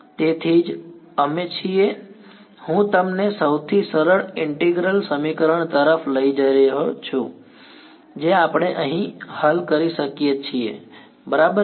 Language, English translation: Gujarati, So, that is why we are, I am making taking you to the simplest integral equation that we can solve over here there are right ok